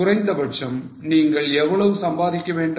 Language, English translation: Tamil, How much you have to earn minimum